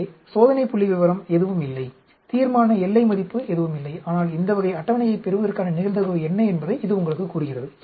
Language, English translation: Tamil, So, there is no test statistics, there is no critical value, but it tells you what is the probability of observing this type of table